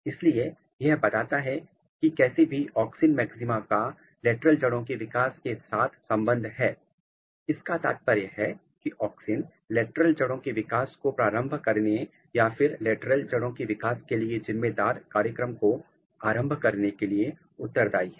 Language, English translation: Hindi, So, this tells that somehow the auxin maxima is correlated with the lateral root development which means that it might be responsible to initiate lateral root development or the program which is specific for the lateral root development